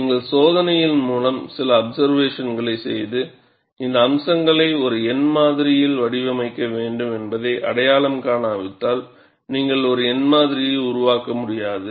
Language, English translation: Tamil, See, unless you make certain observations by experiment and then identify, these aspects have to be modeled by a numerical model; you cannot develop a numerical model